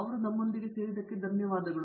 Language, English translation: Kannada, So, thank you for joining us